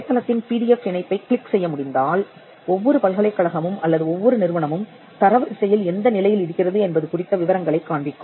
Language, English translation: Tamil, Now, this is a screenshot from the website and if you can click on the PDF link at the website, it will show the details of how each university or each institute fair in the ranking